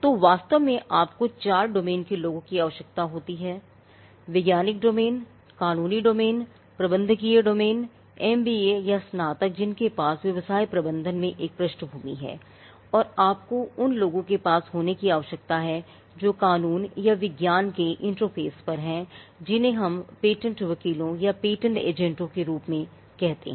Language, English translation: Hindi, So, in effect you need to have people from four domains – the scientific domain, the legal domain, the managerial domain; MBA or graduates who have a background in business management, and you need to have the people who are at the interface of law and science what whom we call the patent attorneys or the patent agents